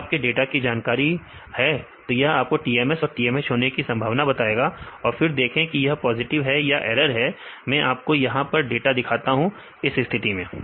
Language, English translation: Hindi, If you know the data, it will tell the probability for TMS and TMH and then see this is the positive or it is error; I will show the data here this is the case